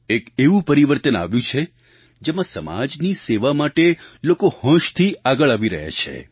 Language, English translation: Gujarati, It is a change where people are increasingly willing to contribute for the sake of service to society